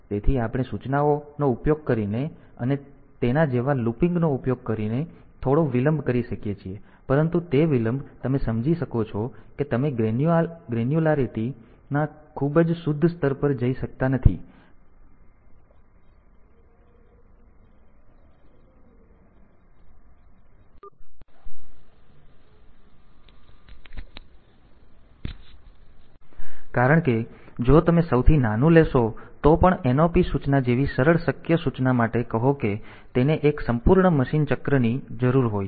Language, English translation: Gujarati, So, we can put some delays using instructions and looping like that, but that delay you can understand that you cannot go to a very refined level of granularity, because if you even if you take the smallest say simplest possible instruction like the knop instruction